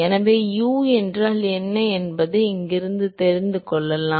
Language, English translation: Tamil, So, from here we can find out what is u